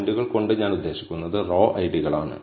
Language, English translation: Malayalam, By points, I mean in the row IDs